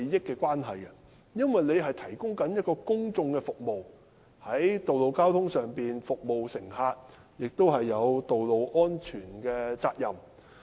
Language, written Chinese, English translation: Cantonese, 司機負責提供公共服務，在道路上服務乘客，而且有道路安全的責任。, Drivers are responsible for providing public services . As they serve passengers on the roads they are responsible for ensuring road safety